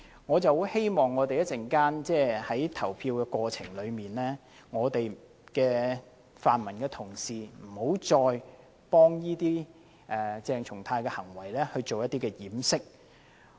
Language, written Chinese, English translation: Cantonese, 我很希望稍後就議案投票時，泛民同事不要再為鄭松泰議員的行為作掩飾。, I hope when the motion is put to the vote later Honourable colleagues from the pan - democratic camp will stop covering up for Dr CHENG Chung - tais behaviour